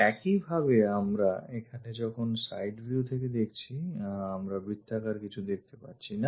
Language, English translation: Bengali, Similarly, when we are looking from side view here we do not see anything like circle